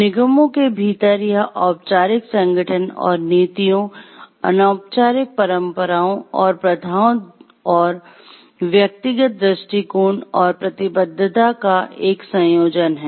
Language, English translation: Hindi, Within corporations it is a combination of formal organization and policies, informal traditions and practices and personal attitudes and commitment